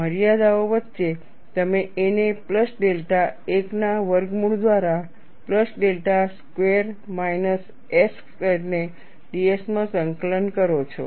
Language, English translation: Gujarati, You integrate a to a plus delta 1 by square root of a plus delta square minus s square into ds